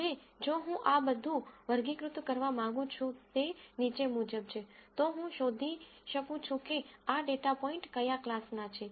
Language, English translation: Gujarati, Now if I want to classify this all that I do is the following, I find out what class these data points belong to